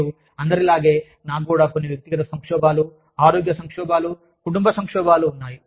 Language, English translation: Telugu, And, like anyone else, i also had some personal crises, health crises, family crises